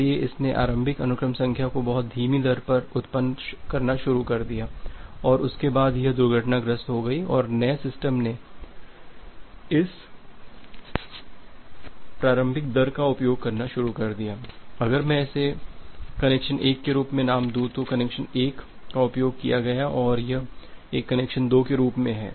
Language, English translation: Hindi, So, it started generating the initial sequence number at a very slow rate and after that it crashed and the new system it just start using this initial rate that say if I name it as connection 1, that connection 1 used and this one as connection 2 that connection was 1 used then again there is a possibility of having a overlap here